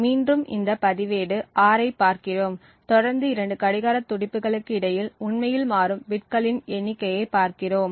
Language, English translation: Tamil, So again we are looking at this register R and between two consecutive clock pulses we look at the number of bits that actually change